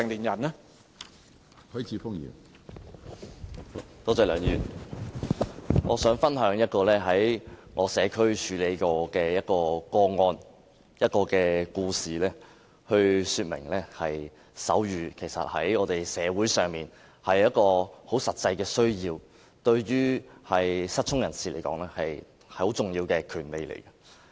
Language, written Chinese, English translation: Cantonese, 我想分享一宗我在社區處理過的個案，用一個故事來說明，手語在社會上其實是有很實際的需要的，而對於失聰人士來說，手語也是很重要的權利。, I wish to share a case that I have dealt with in my constituency and use that story to illustrate that there is a practical need for sign language in society . Besides sign language is also an important right of the deaf